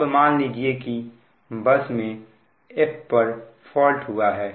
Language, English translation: Hindi, now you assume that there is a fault at bus f